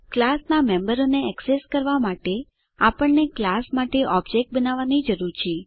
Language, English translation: Gujarati, To access the members of a class , we need to create an object for the class